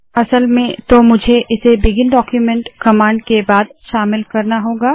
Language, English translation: Hindi, Actually I will have to include this after the begin document command